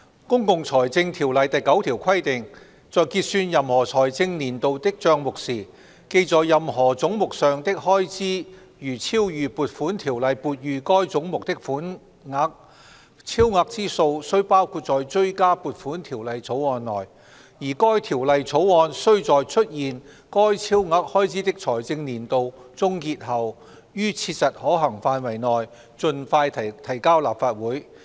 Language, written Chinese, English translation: Cantonese, 《公共財政條例》第9條規定："在結算任何財政年度的帳目時，記在任何總目上的開支如超逾撥款條例撥予該總目的款額，超額之數須包括在追加撥款條例草案內，而該條例草案須在出現該超額開支的財政年度終結後，於切實可行範圍內盡快提交立法會。, Section 9 of the Public Finance Ordinance provides that If at the close of account for any financial year it is found that expenditure charged to any head is in excess of the sum appropriated for that head by an Appropriation Ordinance the excess shall be included in a Supplementary Appropriation Bill which shall be introduced into the Legislative Council as soon as practicable after the close of the financial year to which the excess expenditure relates . Financial year 2018 - 2019 has already come to an end